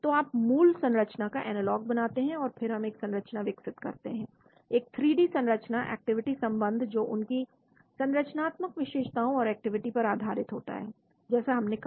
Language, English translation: Hindi, So you make analog of parent compound and then we develop a structure, a 3D structure activity relationship based on their structural features and activity like we said